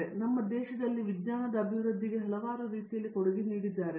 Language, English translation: Kannada, He has contributed in many many ways to the development of science in our country